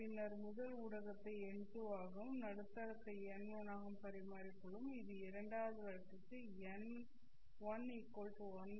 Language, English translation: Tamil, Then we will interchange the first medium as n2 and the medium as n1